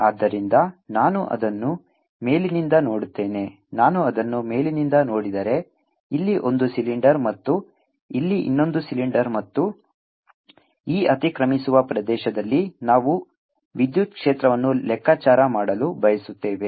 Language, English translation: Kannada, if i look at it from the top, here is one cylinder and here is the other cylinder, and it is in this overlapping region that we wish to calculate the electric field